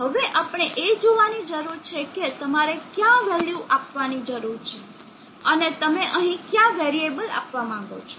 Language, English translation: Gujarati, Now we need to see what are the values that you need to give and what variable you would want to give here